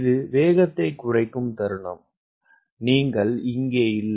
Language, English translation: Tamil, the moment it is the speed you are not